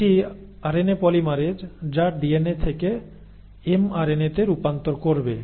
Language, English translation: Bengali, So now its the RNA polymerase which will do this conversion from DNA to mRNA